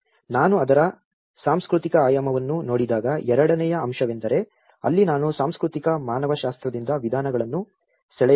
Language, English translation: Kannada, The second aspect when I am looking at the cultural dimension of it that is where I have to draw the methods from the cultural anthropology